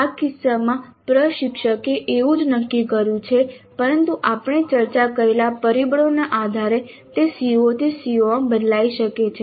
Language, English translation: Gujarati, In this case the instructor has decided like that but it can vary from CO to CO based on the factors that we discussed